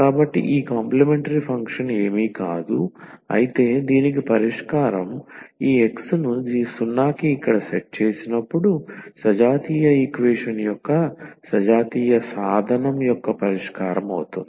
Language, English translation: Telugu, So, this complementary function is nothing, but the solution of so this is just the solution of the homogeneous equation homogeneous means when we set here this X to 0